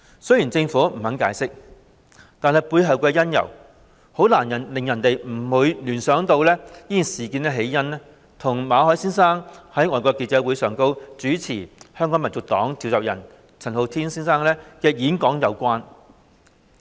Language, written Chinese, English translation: Cantonese, 雖然政府不肯解釋，但是背後的原因，很難不令人聯想到事件起因與馬凱先生在外國記者會上主持香港民族黨召集人陳浩天先生的演講有關。, Although the Government refused to explain the public inevitably relate the reason behind its decision to Mr MALLETs hosting a talk by Mr Andy CHAN convenor of the Hong Kong National Party at FCC